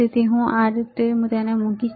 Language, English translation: Gujarati, So, I will put it like this